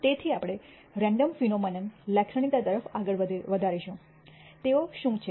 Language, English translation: Gujarati, So, we will go on to characterizing random phenomena; what they are